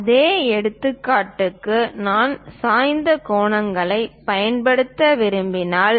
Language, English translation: Tamil, For the same example, if I would like to use inclined angles